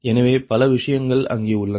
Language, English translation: Tamil, so so many thing are there